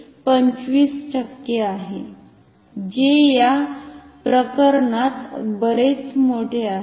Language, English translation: Marathi, So, this is 25 percent which is quite large in this case